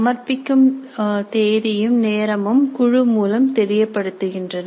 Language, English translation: Tamil, So date and time of submission can be communicated through such a group